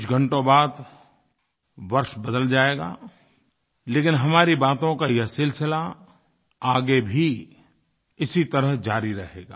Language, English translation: Hindi, A few hours later, the year will change, but this sequence of our conversation will go on, just the way it is